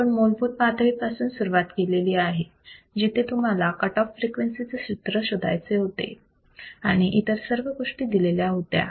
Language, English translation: Marathi, So, we have started at a very basic level where you are you are asked to find the formula of a cutoff frequency, while given everything is given